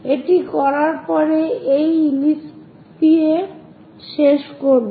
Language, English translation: Bengali, After doing that we will end up with this ellipse